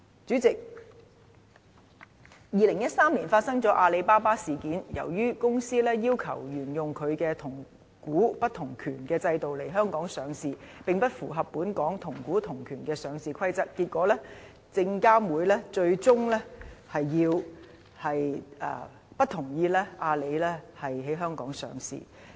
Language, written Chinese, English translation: Cantonese, 主席 ，2013 年發生了阿里巴巴事件，由於該公司要求沿由它同股不同權的制度來港上市，並不符合本港同股同權的上市規則，結果證監會最終不同意阿里巴巴在香港上市。, President the Alibaba incident took place in 2013 in which SFC eventually disapproved of Alibabas coming to Hong Kong to go public because the companys demand of listing its shares in accordance with the regime of dual - class share structure was against Hong Kongs listing rule of one share one vote